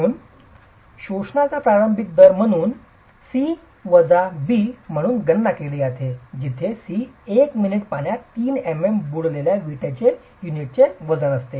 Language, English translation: Marathi, So the initial rate of absorption is therefore calculated as C minus B where C is the weight of the brick unit immersed in 3 millimetres of water for one minute